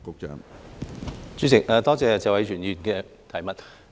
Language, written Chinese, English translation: Cantonese, 主席，多謝謝偉銓議員的補充質詢。, President I thank Mr Tony TSE for his supplementary question